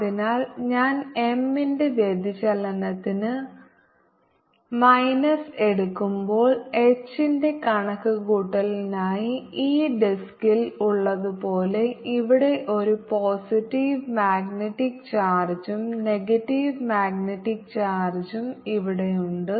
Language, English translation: Malayalam, therefore, when i take minus of divergence of m, it is as if on this disk for calculation of h there is a positive magnetic charge here, negative magnetic charge here and kind of field is give rise to, would be like the electric field